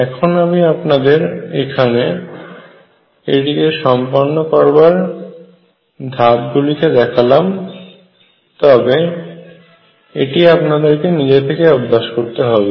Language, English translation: Bengali, Now, I have given you steps to do this you will have to practice it yourself